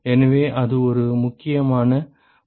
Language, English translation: Tamil, So, so that is an important property